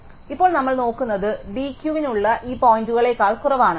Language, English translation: Malayalam, So, now we are looking at points which could be within at d Q is smaller than the d Q across this boundary